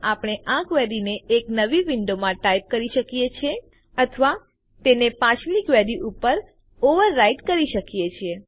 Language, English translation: Gujarati, We can type this query in a new window, or we can overwrite it on the previous query